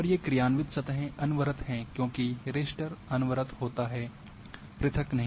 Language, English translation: Hindi, And these functional surfaces are continuous because raster is continuous not discrete